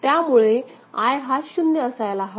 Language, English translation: Marathi, So, this I is sensed to be 0 ok